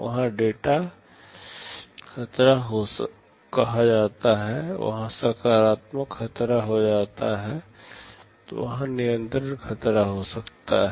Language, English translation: Hindi, There are situations called data hazards, there can be structural hazards, there can be control hazards